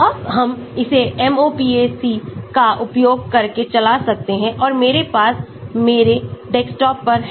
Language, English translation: Hindi, Now, we can run this using MOPAC and I have it on my desktop in the back